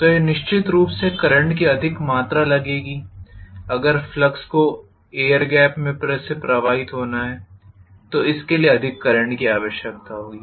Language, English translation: Hindi, So that is going to definitely ask for more amount of current, if flux has to flow through the air gap also it will require more current